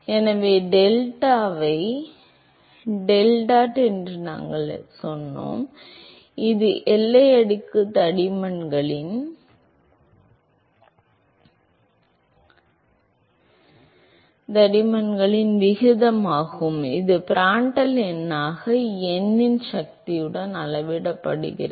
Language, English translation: Tamil, So, because we said that the delta by deltat, which is the ratio of boundary layer thicknesses that scales as Prandtl number to the power of n